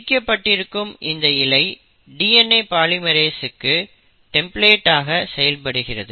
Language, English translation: Tamil, So this separated strand acts like a template for DNA polymerase, the first requirement is a template